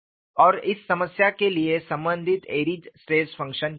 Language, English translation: Hindi, And what is the corresponding Airy’s stress function for this problem